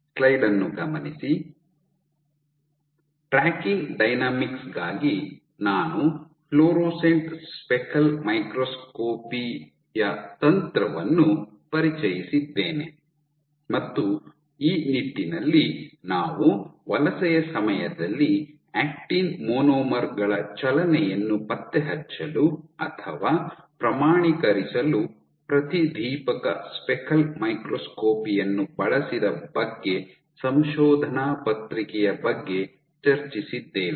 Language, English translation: Kannada, So, we have been I have introduced you the technique of fluorescent speckle microscopy for tracking dynamics, and in this regard we were discussing a paper where fluorescent speckle microscopy was performed to track or quantify actin monomers movement during migration